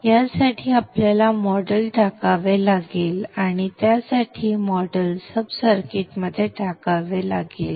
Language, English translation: Marathi, We need to put in the model for this and put in the model for this into the subcircuit